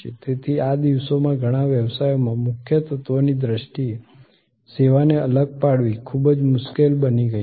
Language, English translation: Gujarati, So, these days in many business is it is become very difficult to distinguish the service in terms of the core element